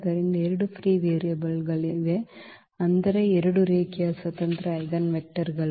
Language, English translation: Kannada, So, there are two free variables, meaning 2 linearly independent eigenvectors